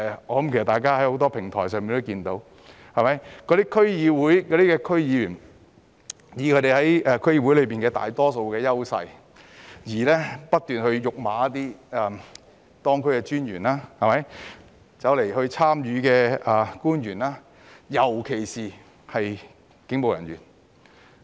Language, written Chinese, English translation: Cantonese, 我想大家透過很多平台也可以看到，那些區議員藉着他們在區議會內的大多數優勢，不斷辱罵當區專員及與會官員，尤其是警務人員。, I think that Members may have learnt from many platforms that those DC members had made use of their advantage of being the majority in DCs to keep insulting DOs of the respective districts and government officials in attendance especially police officers